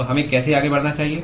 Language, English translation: Hindi, So, how should we proceed